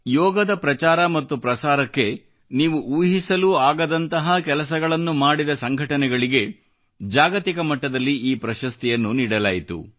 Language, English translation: Kannada, This award would be bestowed on those organizations around the world, whose significant and unique contributions in the promotion of yoga you cannot even imagine